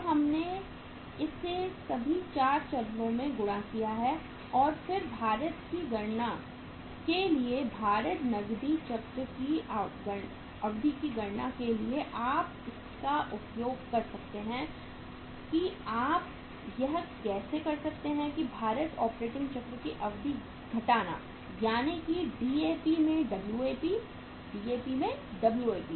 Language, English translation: Hindi, Now we have multiplied with this at all the 4 stages and then for calculating the weighted, duration of the weighted cash cycle, you can use you can do how you can do is that is the duration of the weighted operating cycle minus that is the Wap into Dap, Wap into Dap